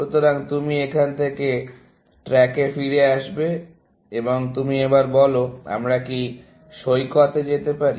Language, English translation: Bengali, So, you back track from here, and you say, shall we go to the beach